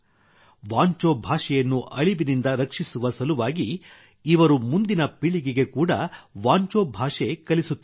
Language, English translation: Kannada, He is also teaching Wancho language to the coming generations so that it can be saved from extinction